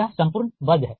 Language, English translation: Hindi, this is whole square